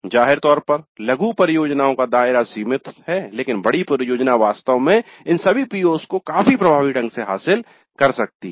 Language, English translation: Hindi, Many projects have evidently limited scope but the major project can indeed address all these POs quite effectively